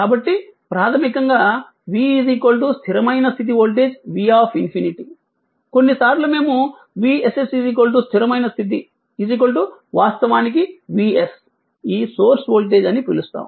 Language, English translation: Telugu, So, basically v is equal to your what you call in that steady state voltage in v infinity, sometimes, we call V s s steady state right is equal to actually V s this source voltage right